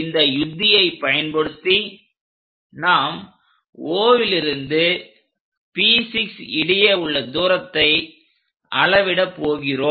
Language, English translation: Tamil, Using that strategy what we are going to construct is O to P6 we will measure the distance